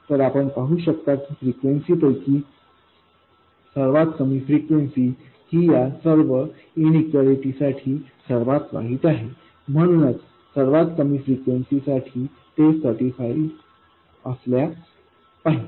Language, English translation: Marathi, So you can see that the lowest of the frequencies is the worst case for these inequalities so it has to be satisfied for the lowest of the frequencies